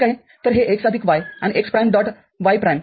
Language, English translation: Marathi, So, this x plus y and x prime dot y prime